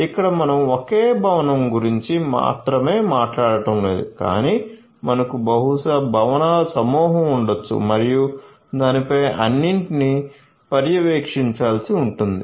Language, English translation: Telugu, So, here we are not just talking about a single building, but we are going to have maybe a cluster of buildings and so on which all will have to be monitored right